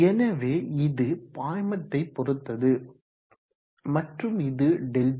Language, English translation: Tamil, So it depends upon the fluid and this is